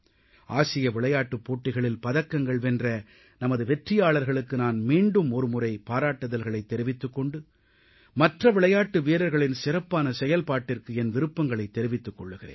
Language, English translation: Tamil, Once again, I congratulate the medal winners at the Asian Games and also wish the remaining players perform well